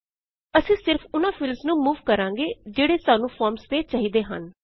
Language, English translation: Punjabi, We will need to move only those fields which we need on the form